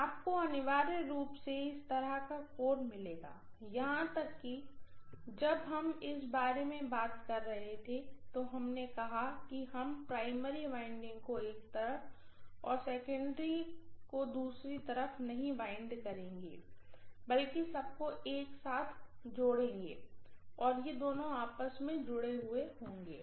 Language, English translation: Hindi, (())(8:52) You are going to have essentially a core like this, even when we were talking about this we said that we are not going to wind the primary on one side and secondary on the other side, instead what you are going to do is, you are going to wind the whole thing and these two are going to be connected